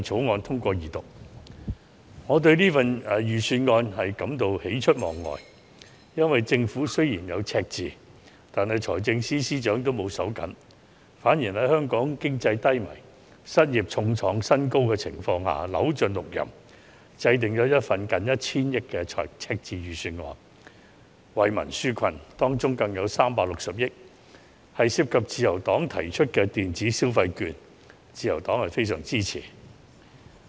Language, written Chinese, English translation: Cantonese, 我對本年度的財政預算案感到喜出望外，因為政府雖然面對赤字，但財政司司長沒有因此而"手緊"，反而在香港經濟低迷、失業率創新高的情況下扭盡六壬，制訂了一份近 1,000 億元赤字的預算案，為民紓困，當中有360億元更涉及自由黨提出的電子消費券建議，自由黨非常支持。, I am pleasantly surprised by this years Budget because the Financial Secretary FS has not reined in government spending in the face of the deficit . Instead despite the economic downturn and record high unemployment rate in Hong Kong FS has exhausted every possible means to formulate a Budget with a deficit of nearly 100 billion to relieve the hardship of the people . The disbursement of electronic consumption vouchers proposed by the Liberal Party LP which involves 36 billion has the strong support of LP